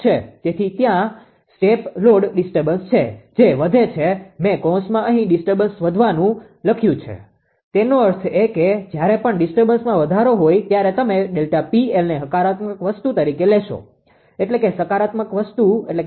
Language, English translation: Gujarati, There is step load disturbance that is increase I have written here in the bracket an increase in the disturbance; that means, whenever increase in the disturbance delta P L you will take as a positive thing, right